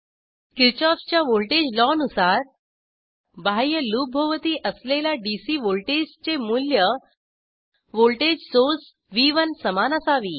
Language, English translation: Marathi, According to Kirchoffs voltage law, voltage around outer loop should be equal to the value of the dc voltage source V1